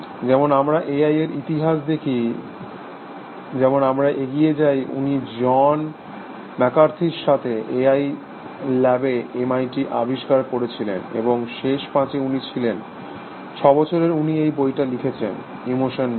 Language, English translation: Bengali, As we will see the history of A I, as we go along, he founded the m i t A I lab, along with John McCarthy, and he has it is in the last five, six years odd, he is written this book called, the emotion machine essentially